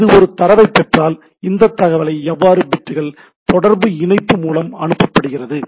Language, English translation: Tamil, If it is a, if it receives a data how this bits can be transmitted to the through the communication link